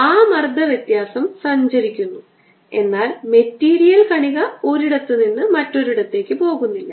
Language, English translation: Malayalam, that pressure difference travels, but the material particle does not go from one place to the other